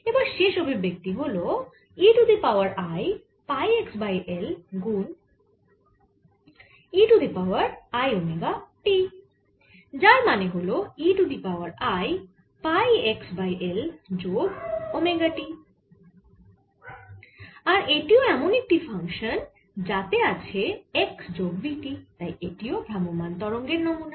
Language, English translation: Bengali, and final one is e raise to i pi x over l times e raise to i omega t, which is e raise to i pi x over l plus omega t, and this again is of the form f a function, x plus v, t, and therefore it represents a travelling wave